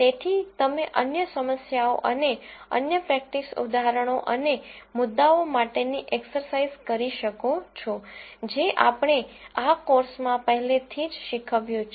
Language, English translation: Gujarati, So, you might want to look at other problems and other practice examples and exercises for the concepts that we have already taught in this course